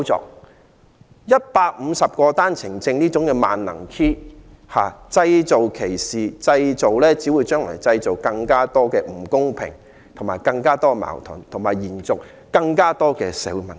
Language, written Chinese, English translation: Cantonese, 利用每日150個單程證配額這個"萬能 Key"， 製造歧視，到頭來只會製造更多不公平，更多矛盾，延續更多社會問題。, Using the 150 daily OWP quota as a one - size - fits - all villain to generate discrimination will only create more unfairness and conflicts while prolonging more social problems